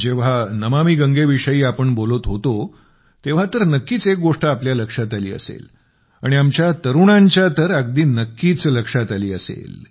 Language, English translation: Marathi, When Namami Gange is being referred to, one thing is certain to draw your attention…especially that of the youth